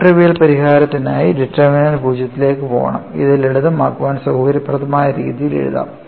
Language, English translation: Malayalam, For non trivial solution, you have to have the determinant, should go to 0; and which could be written in a fashion convenient for simplification